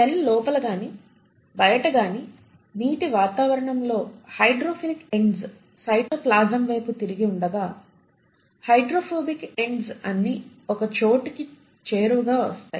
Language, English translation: Telugu, With the hydrophilic ends exposed to the aqueous environment either outside the cell or inside the cell towards the cytoplasm, while the hydrophobic ends come together